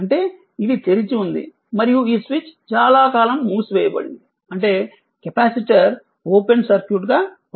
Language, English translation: Telugu, That means, this is this was open and this switch was closed for long time, that means capacitor is acting as an your open circuit